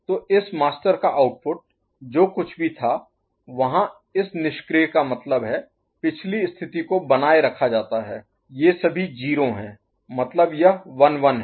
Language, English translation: Hindi, So, the output of this master whatever was there this inactive means the previous state will be retained this these are all 0 means 1 1